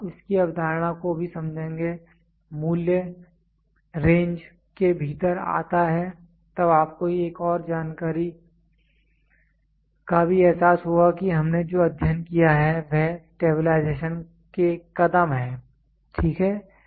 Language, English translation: Hindi, Then you will also understand the concept of so, the value falls within with range then you will also have to realize one more information what we studied is the steps stabilization, ok